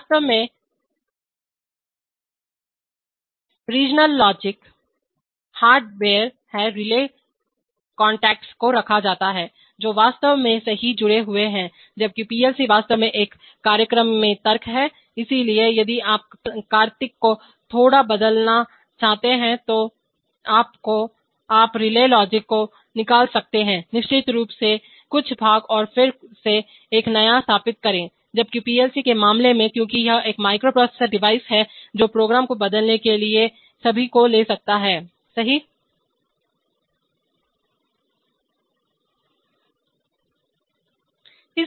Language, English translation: Hindi, Regional logic is hard wired actually things are put relays contactors they are actually connected right while PLC is the logic is actually in a program, so while, if you want to change the logic little bit then you have a dismantle relay logic, certainly some parts and then again install a new one, while in the case of PLC’s because it is a microprocessor device all it takes is to change the program, right